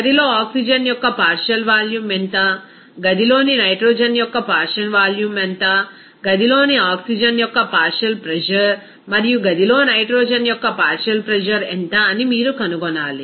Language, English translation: Telugu, You have to find out what is the partial volume of oxygen in the room, what is the partial volume of nitrogen in the room, what is the partial pressure of oxygen in the room, and also what is the partial pressure of nitrogen in the room